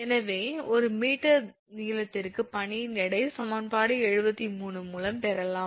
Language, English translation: Tamil, So, weight of the ice per meter length can be obtained using equation 73